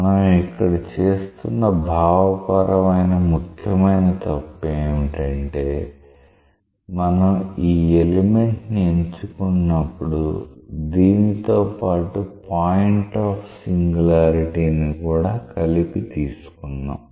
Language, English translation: Telugu, What is wrong with that a very important conceptual mistake is, there by choosing this element you have taken the element by including the point of singularity